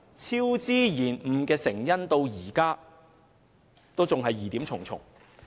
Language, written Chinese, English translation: Cantonese, 超支及延誤的成因至今仍疑點重重。, Many doubts surrounding the causes of cost overrun and works delay are still unanswered